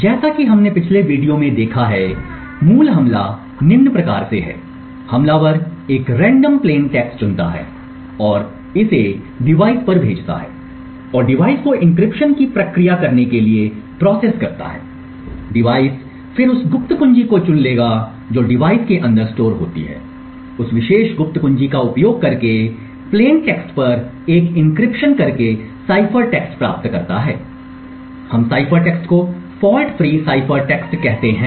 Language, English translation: Hindi, The basic attack as we have seen in the previous video is as following, attacker chooses a random plain texts passes it to the device and process the device to performance an encryption, the device would then pick the secret key which is stored inside the device perform an encryption on the plaintext using that particular secret key and obtain a cipher text, we call the cipher text as the fault free cipher text